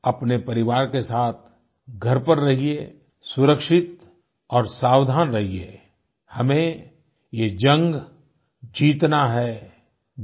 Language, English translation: Hindi, Stay at home with your family, be careful and safe, we need to win this battle